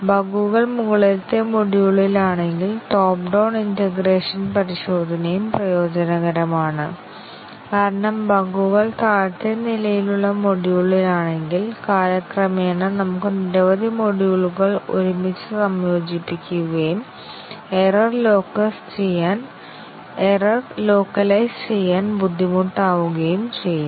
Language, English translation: Malayalam, And also top down integration testing is advantageous if the bugs are in the top level module, because if the bugs are more at the bottom level module, then we would have by the time integrated many modules together and it would be difficult to localize the error